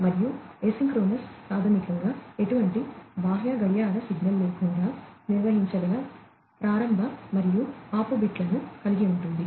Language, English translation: Telugu, And, asynchronous basically has start and stop bits that can be handled, without any external clock signal